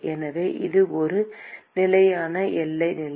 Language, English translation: Tamil, So, it is a constant boundary condition